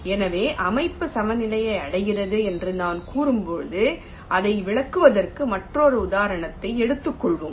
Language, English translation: Tamil, ah, so when i say system achieves equilibrium, lets take another example to illustrate this